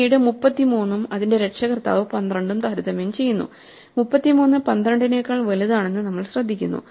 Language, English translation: Malayalam, Now, 33 being bigger than 11 we have to walk up and swap it then again we compare 33 and its parent 12 and we notice that 33 is bigger than 12